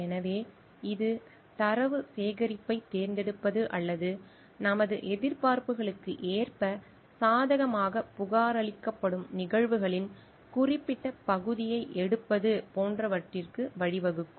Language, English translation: Tamil, So, that will lead to like selecting data collection or like picking up certain part of the happenings which is going to be reported favourably according to our expectations